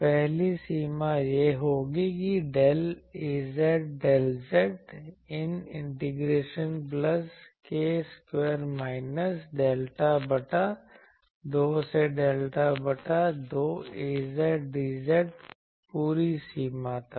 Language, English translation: Hindi, The first one will be that del Az del z one integration plus k square minus delta by 2 to delta by 2 Az dz for whole limit